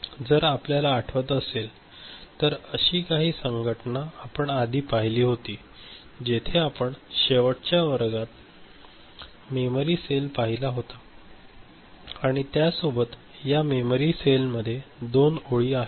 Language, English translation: Marathi, So, we had seen some such organization before right, we had seen a memory cell in the last class if we remember and this memory cell had 2 lines